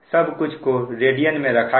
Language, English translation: Hindi, this is all radian